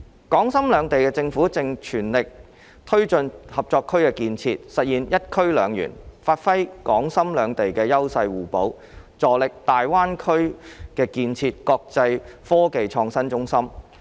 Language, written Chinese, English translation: Cantonese, 港深兩地政府正全力推進合作區的建設，實現"一區兩園"，發揮港深兩地優勢互補，助力大灣區建設國際科技創新中心。, The governments of Hong Kong and Shenzhen are taking forward the development of the Co - operation Zone in full swing to establish one zone two parks and leverage the complementary advantages of both Hong Kong and Shenzhen with a view to developing the Greater Bay Area GBA into an international IT hub